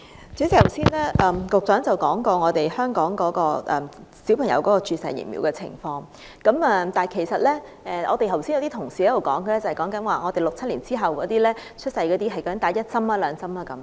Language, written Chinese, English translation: Cantonese, 主席，局長剛才提到香港小朋友注射疫苗的情況，但有同事剛剛所說的是，在1967年以後出生的人不知自己注射了一劑還是兩劑疫苗。, President the Secretary has mentioned the arrangement concerning the vaccination of children in Hong Kong . But according to some colleagues people born after 1967 do not know whether they had received one or two doses of vaccine